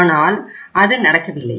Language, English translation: Tamil, So that is not possible